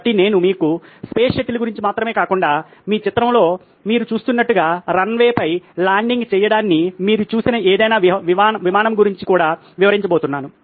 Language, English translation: Telugu, So, I am going to describe to you not only about space shuttle but also about any aeroplane that you probably have seen landing on a runway like what you see in your picture